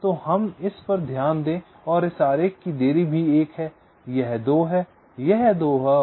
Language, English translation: Hindi, so let us note this down and this diagram also: the delay of this is one, this is two, this is two and this is two